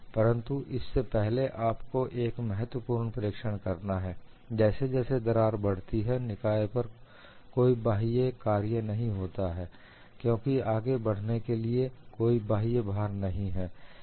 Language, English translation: Hindi, And before that, you will have to make one important observation: as the crack advances, no external work is done on the system because the external load is not allowed to move